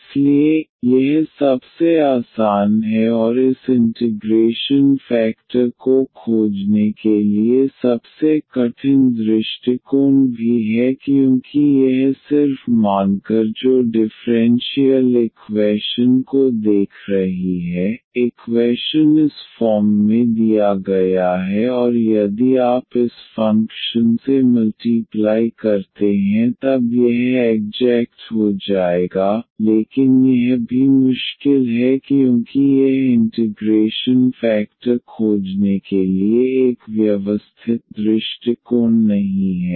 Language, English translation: Hindi, So, this is the most easiest one and also the most toughest approach to find the this integrating factor because it is it is just the gas here looking at the differential equation that, the equation is given in this form and if you multiply by this function then this will become exact, but this is also difficult because it is not a systematic approach to find the integrating factor